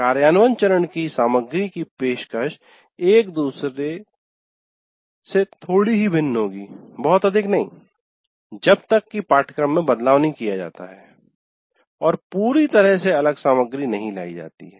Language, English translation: Hindi, So what happens the implement phase, a content of the implement phase will differ from one offering to the other slightly, not significantly, unless the curriculum is overhauled and completely different material is brought in